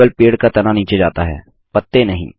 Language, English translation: Hindi, Only the tree trunk moves down the leaves dont